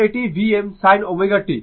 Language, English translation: Bengali, So, V m sin sin omega t